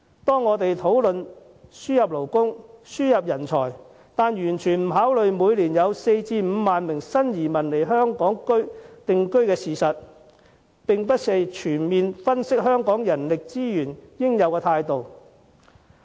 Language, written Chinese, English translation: Cantonese, 社會在討論輸入勞工和人才時，卻完全未有考慮每年有4萬至5萬名新移民來港定居的事實，這並非全面分析香港人力資源應有的態度。, When discussing the importation of workers and talents we have ignored the fact that there are 40 000 to 50 000 new arrivals coming to Hong Kong each year . This is not a comprehensive analysis of the manpower resources in Hong Kong